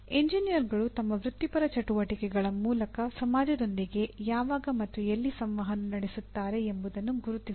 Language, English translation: Kannada, Identify when and where engineers interact with society through their professional activities